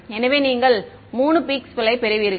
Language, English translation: Tamil, So, you get 1 2 3 peaks you get